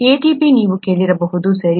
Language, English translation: Kannada, ATP you would have heard, right